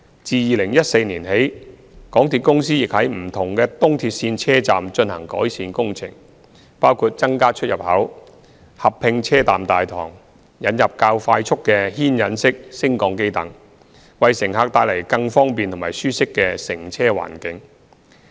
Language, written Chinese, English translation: Cantonese, 自2014年起，港鐵公司亦在不同的東鐵線車站進行改善工程，包括增加出入口，合併車站大堂，引入較快速的牽引式升降機等，為乘客帶來更方便及舒適的乘車環境。, Since 2014 MTRCL has implemented station improvement work in various ERL stations including adding entrances and exits integrating station lobby installing traction lifts etc to create a more convenient and comfortable environment for passengers